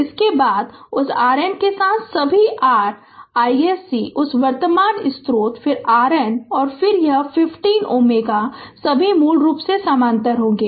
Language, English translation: Hindi, After that with that R N ah all all your i s c that current source then R N, ah and then this 50 ohm all will be in parallel basically right